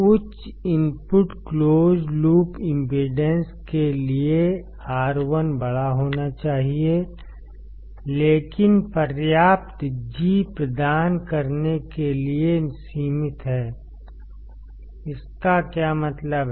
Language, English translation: Hindi, For high input close loop impedance; R1 should be large, but is limited to provide sufficient G; what does that mean